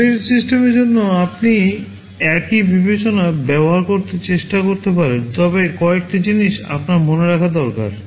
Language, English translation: Bengali, The same consideration you can try to use for an embedded system, but there are a few things you need to remember